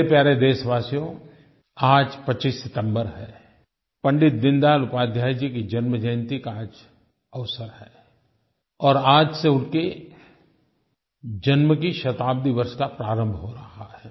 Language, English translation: Hindi, My dear countrymen, today is 25th September, the birth anniversary of Pandit Deen Dayal Upadhyay Ji and his birth centenary year commences from today